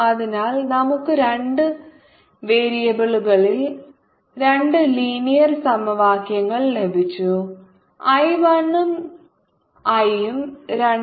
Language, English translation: Malayalam, so we have got to linear equations in two variables, i one and i two, so we can solve this equations